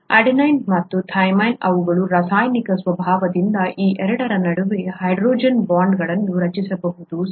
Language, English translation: Kannada, Adenine and thymine by their very nature, by the very chemical nature can form hydrogen bonds between these two, okay